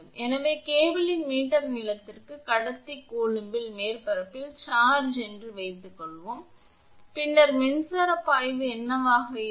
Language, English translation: Tamil, So, let the assuming the charge on the surface of the conductor q coulomb per meter length of the cable, then what will be the electric flux